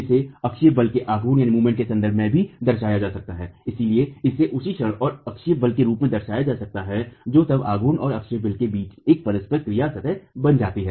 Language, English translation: Hindi, So the same can be represented in terms of moment and axial force, which then becomes an interaction surface in moment and axial force